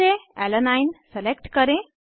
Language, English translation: Hindi, Select Alanine from the list